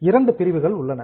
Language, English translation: Tamil, There are two items